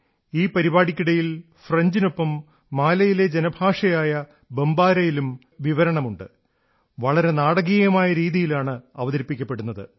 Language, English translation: Malayalam, During the course of this program, he renders his commentary in French as well as in Mali's lingua franca known as Bombara, and does it in quite a dramatic fashion